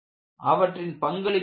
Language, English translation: Tamil, And what is their role